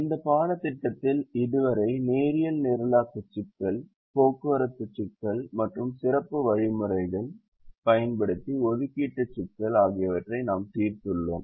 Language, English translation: Tamil, so far in this course we have solved the linear programming problem, transportation problem and the assignment problem using special algorithms